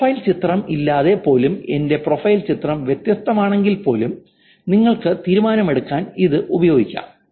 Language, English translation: Malayalam, Even without the profile picture, even if my profile picture is different, you can use this to make the decision that is actually the same